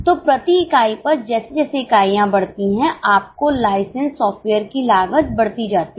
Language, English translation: Hindi, So, per unit as the units increase, your cost of license software increase